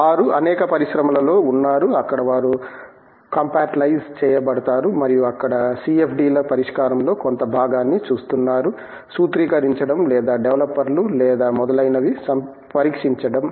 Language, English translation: Telugu, They are there in many industries where, they get compartmentalized and are looking at part of a CFDs solution there, either formulating or developers or testing etcetera